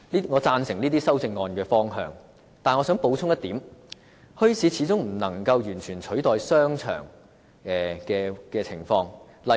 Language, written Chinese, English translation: Cantonese, 我贊成這些修正案的方向，但我想補充一點，墟市始終無法完全取代商場。, Although I agree with the direction of these amendments I would like to make an additional point that these bazaars cannot substitute shopping arcades completely